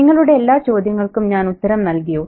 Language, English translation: Malayalam, Did I answer all your queries there